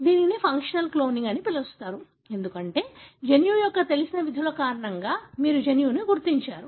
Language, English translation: Telugu, So, this is called as a functional cloning, because you identified the gene, because of the known functions of the gene